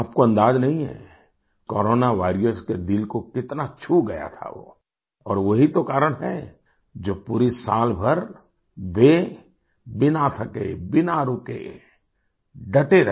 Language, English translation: Hindi, You cannot imagine how much it had touched the hearts of Corona Warriors…and that is the very reason they resolutely held on the whole year, without tiring, without halting